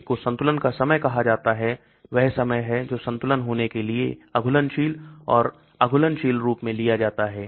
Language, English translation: Hindi, One is called equilibration time that is time taken for dissolved and undissolved form to reach equilibrium